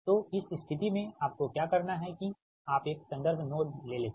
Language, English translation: Hindi, in that case what you have to do is that you take a reference node